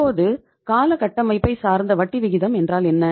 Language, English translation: Tamil, Now what is the term structure of interest rates